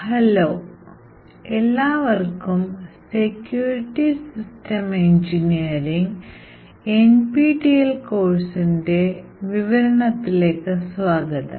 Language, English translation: Malayalam, Hello and welcome to this demonstration in the NPTEL course for Secure System Engineering